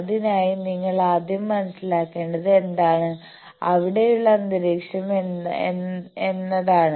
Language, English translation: Malayalam, So, you want to first understand, what is the ambient that is present there